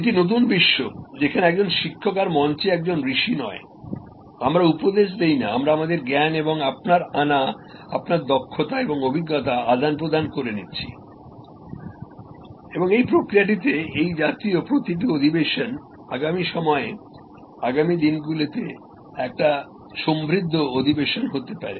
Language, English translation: Bengali, This is the new world, where a teacher is no longer, a sage on the stage, we are no longer preaching, we are interacting, we are sharing our knowledge and your bringing, your expertise and experience and in the process each such session for times to come, for days to come can be an enriched session